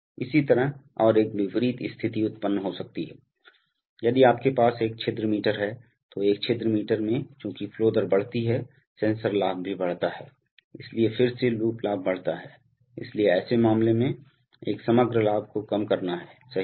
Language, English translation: Hindi, Similarly at the, and an opposite situation can occur, if you have an orifice meter, so in an orifice meter as the flow rate increases, the sensor gain also increases, so again the loop gain increases, so in such a case the, one has to have the overall gain reducing, right